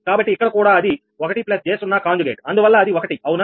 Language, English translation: Telugu, so here also it will be one plus j, zero conjugate means it is one, right